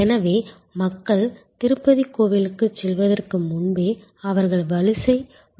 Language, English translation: Tamil, So, people even before they get to the Tirupati temple, they are in the queue complex